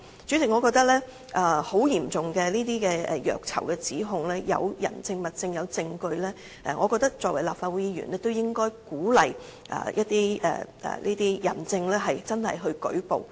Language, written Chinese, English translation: Cantonese, 主席，我認為這些嚴重虐囚的指控，如果有人證、物證和證據，我覺得作為立法會議員，均應鼓勵這些人證舉報。, President I consider that if we can find the witness and evidence of about the serious accusations that certain prisoners are ill - treated then we should in our capacity as Legislative Council Members encourage these people to report the cases